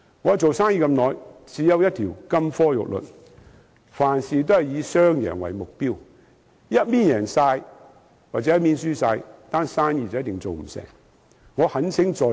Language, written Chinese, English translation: Cantonese, 我做生意這麼久，只有一條金科玉律：凡事以雙贏為目標，一方贏盡或一方輸盡，生意一定做不成。, I have been a businessman for a long time and I have only one golden rule for doing business always aim for a win - win outcome as there is definitely no way that a deal can be struck if one side wins all and the other side loses all